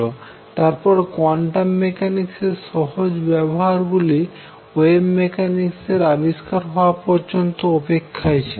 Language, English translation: Bengali, And therefore, the easy application of quantum mechanics had to wait the development of wave mechanics that will be covered in the next lecture onwards